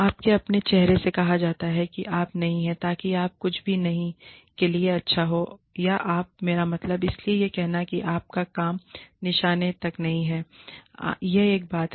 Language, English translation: Hindi, You are told to your face, that you are not, you know, so, that you, good for nothing, or you are, i mean, so, of course saying that, your work is not up to the mark, is one thing